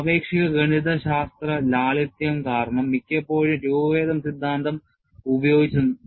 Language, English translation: Malayalam, Because of the relative mathematical simplicity, in many cases, the deformation theory has been used